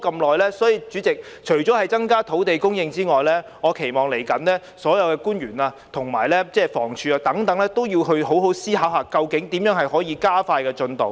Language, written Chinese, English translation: Cantonese, 代理主席，除了增加土地供應之外，我期望未來所有官員和房屋署等，要好好思考如何能夠加快進度。, Deputy President apart from increasing land supply I expect that in the future all government officials the Housing Department and so on must properly contemplate how to speed up the progress